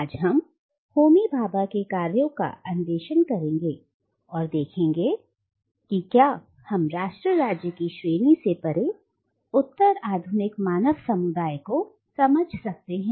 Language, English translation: Hindi, And we will make this attempt today by exploring the works of Homi Bhabha and see if we can arrive at an alternative understanding of postcolonial human community beyond the category of nation state